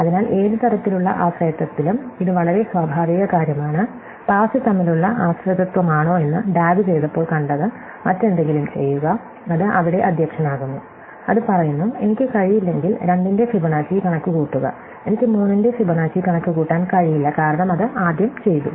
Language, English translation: Malayalam, So, it is a very natural thing in any kind of dependency, whether it is dependency between pass that we saw in when we did DAG begin with there are many, have do something else it is presides there, it saying that, if I cannot compute Fibonacci of 2, I cannot compute Fibonacci of 3, because it has to be done first